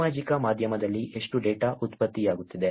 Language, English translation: Kannada, How much of data is getting generated on social media